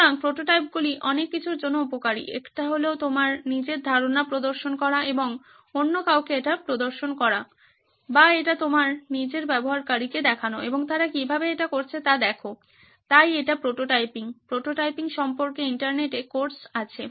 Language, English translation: Bengali, So prototypes are useful for many things one is to showcase your own idea and showcase it to somebody else or show it your own user and see how they are doing it, so this is prototyping, There are courses out there on the Internet about prototyping itself